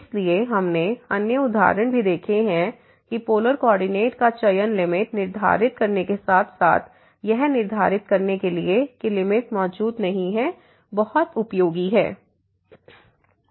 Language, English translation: Hindi, So, we have seen other examples also that this choosing to polar coordinate is very useful for determining the limit as well as for determining that the limit does not exist